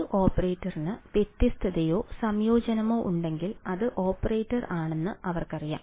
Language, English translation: Malayalam, They know that if an operator has a differentiation or an integration then that operator is